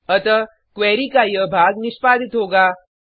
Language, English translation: Hindi, So this part of the query will be executed